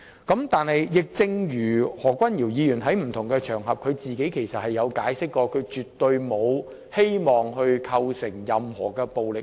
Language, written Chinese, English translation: Cantonese, 可是，亦正如何君堯議員在不同場合所解釋，他是絕對無意煽動任何暴力行為。, However as Dr Junius HO has explained during various occasions he had absolutely no intention to incite violence